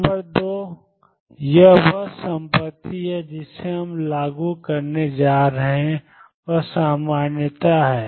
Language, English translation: Hindi, Number 2 this is the property we are going to enforce is normality